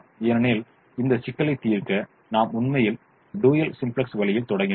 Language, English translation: Tamil, we actually started with the dual simplex way